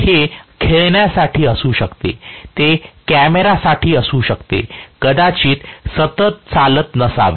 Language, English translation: Marathi, It may be for toys, it may be for camera, it may not be for the continuous running